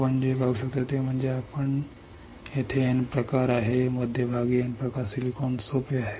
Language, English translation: Marathi, what you can see is that, you can see there is a N type, N type in the centre there is silicon easy